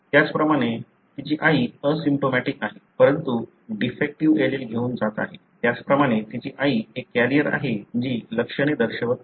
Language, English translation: Marathi, Likewise her mother is asymptomatic, but carrying the defective allele; likewise her mother is a carrier not showing symptoms